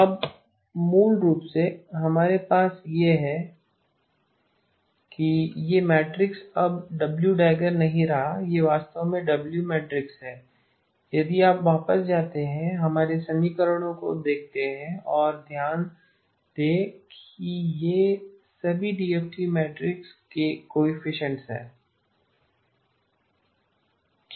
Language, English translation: Hindi, Now basically what we have is that this matrix is no longer the W dagger it is actually the W matrix if you go back and look at our expressions and notice that these are all the coefficients of the DFT matrix